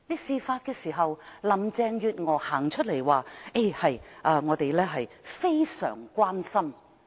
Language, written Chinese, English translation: Cantonese, 事發時，林鄭月娥走出來表示他們"非常關心"。, When the incident came to light Carrie LAM came forth and expressed great concern